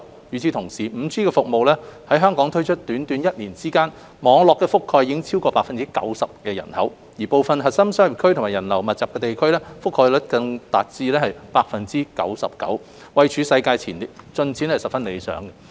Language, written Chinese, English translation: Cantonese, 與此同時 ，5G 服務在香港推出短短一年間，網絡覆蓋已超過 90% 的人口，部分核心商業區及人流密集的地區，覆蓋率更達至 99%， 位處世界前列，進展十分理想。, Meanwhile remarkable progress has been made after the roll - out of 5G services in Hong Kong for just one year covering over 90 % of the population and the coverage in some core business districts and areas with high pedestrian flow has even reached 99 % which is among the highest in the world